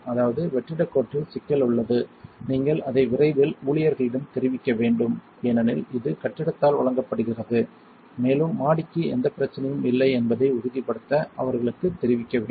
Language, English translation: Tamil, That means, there is a problem with vacuum line you should report it to staff as soon as possible, because this is provided by the building and we have to know notify them to make sure there is no problem upstairs